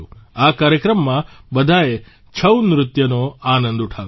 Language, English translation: Gujarati, Everyone enjoyed the 'Chhau' dance in this program